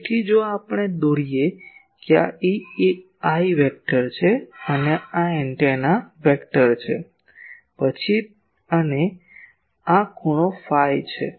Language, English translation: Gujarati, So, if we draw that this is the a i vector and this is the a antenna vector; then and this angle is phi p